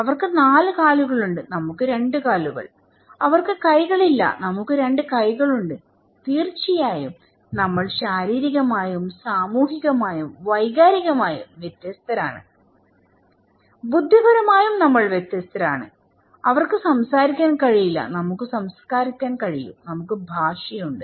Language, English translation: Malayalam, They have 4 legs, we have 2 legs, they donít have hands, we have 2 hands, of course, we are physically different but also socially or emotionally, intellectually we are also different, they cannot speak, we can speak, we have language